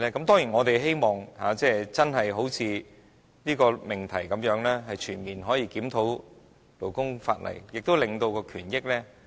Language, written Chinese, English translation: Cantonese, 當然，我們希望真的可以好像這項議題般，"全面檢討勞工法例，改善勞工權益"。, Of course we hope that what is proposed in the motion heading can really come true Conducting a comprehensive review of labour legislation to improve labour rights and interests